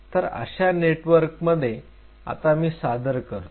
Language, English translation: Marathi, So, within this network now I am introducing